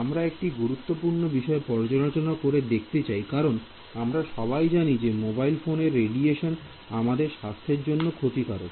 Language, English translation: Bengali, And we are wanting to study a very important problem, all of us know that you know mobile phone radiation is a possible cause for concern health issues